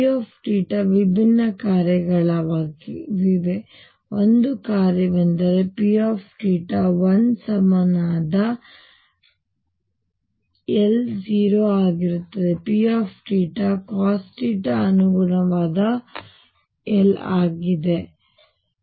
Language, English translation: Kannada, Now and p theta are different functions, one of the functions is P theta equals 1 corresponding l will be 0, P theta equals cosine of theta corresponding l is 1